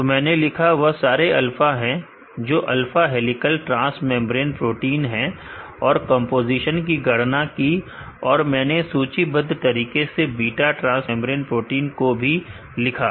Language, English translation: Hindi, So, I have written the all are alpha that is alpha helical transmembrane protein and, calculate the composition and I listed line by line followed by the beta transmembrane proteins